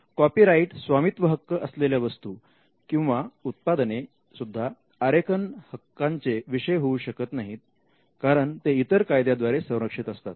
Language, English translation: Marathi, Copyrighted works cannot be a subject matter of design right, because it is protected by a different regime